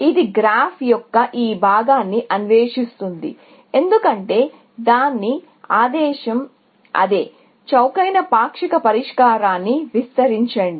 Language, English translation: Telugu, It will explore all this part of the graph, because that is what its mandate is; extend the cheapest partial solution